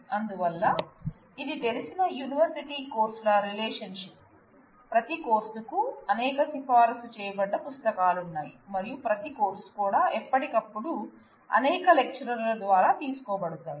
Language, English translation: Telugu, So, it is a relationship of university courses known naturally, every course has multiple recommended books and every course has been taken by multiple different lecturers from time to time